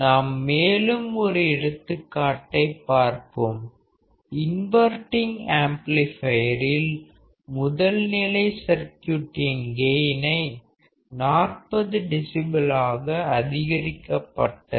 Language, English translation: Tamil, Let us see one more example; so in the inverting amplifier, the gain of the original circuit is to be increased by 40 dB